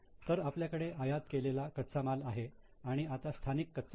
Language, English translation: Marathi, So, we had here imported raw material and now indigenous raw material